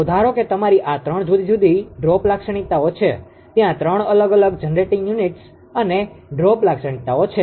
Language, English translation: Gujarati, So, suppose there are your these 3 different duke characteristics are there right 3 different generating units and duke characteristics